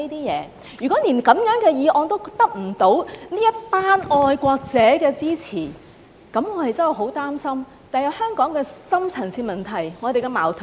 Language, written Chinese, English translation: Cantonese, 如果連這樣的議案也得不到這群愛國者的支持，那麼我真的很擔心，日後怎樣解決香港的深層次問題和矛盾？, I have not used these words . If a humble motion like mine still cannot secure the support of the patriots here I am truly worried how we are going to resolve the deep - seated problems and conflicts in Hong Kong